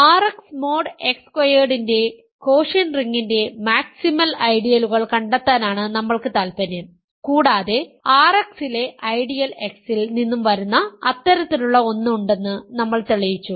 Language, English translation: Malayalam, We interested in finding the maximal ideals of the quotient ring R X mod X squared and we have showed that there is exactly one such in that comes from the ideal X in R X ok